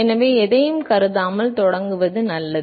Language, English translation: Tamil, So, it is better to start with assuming nothing